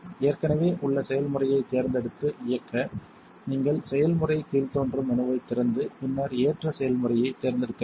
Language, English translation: Tamil, To select and run an existing recipe, you must open the process drop down menu and then select the load recipe